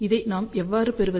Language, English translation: Tamil, How do we get this